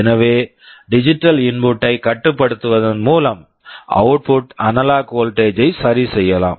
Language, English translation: Tamil, So, by controlling the digital input we can adjust the output analog voltage